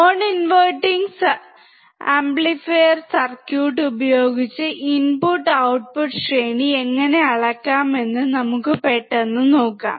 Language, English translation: Malayalam, Let us quickly see how we can measure the input and output range using the non inverting amplifier circuit